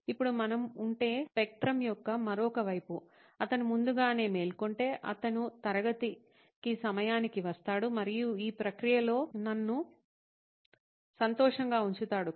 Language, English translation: Telugu, Now if we were, if the other side of the spectrum is that if he wakes up early, he will be on time to class and keep me happy in the process